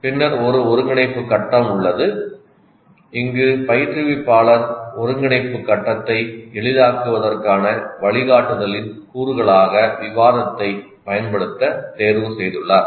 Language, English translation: Tamil, Then there is an integration phase and here the instructor has chosen to use discussion as the instructional component to facilitate the integration phase